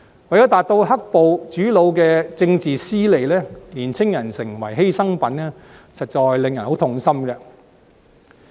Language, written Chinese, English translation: Cantonese, 為了達到"黑暴"主腦的政治私利，年青人成為犧牲品，實在令人痛心。, It is indeed heart - rending to see that some young people have been sacrificed by the masterminds behind the black - clad violence for their own political interests